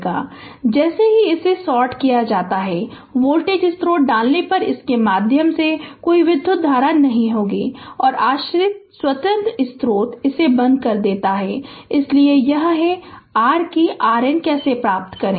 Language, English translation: Hindi, So, this as soon as you sort it, there will be no current through this if if you put a voltage source, and dependent, independent source you put it turn it off right, so this is your how we get R Norton